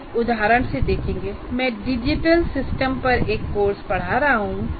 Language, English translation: Hindi, We will see from the example if I am, let's say I am teaching a course on digital systems